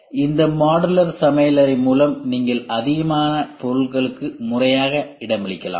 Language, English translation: Tamil, So, with this modular kitchen you can accommodate more items and in a more systematic manner